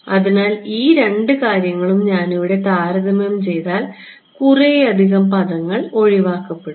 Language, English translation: Malayalam, So, if I compare these two things over here, what everything I mean a lot of terms cancel off